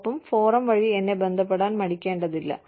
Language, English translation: Malayalam, And, please feel free, to get in touch with me, through the forum